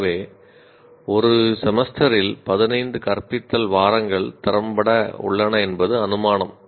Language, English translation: Tamil, So the assumption is we have a 15 teaching weeks in a semester effectively